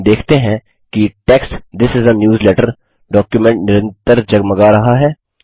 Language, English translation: Hindi, We see that the text This is a newsletter constantly blinks in the document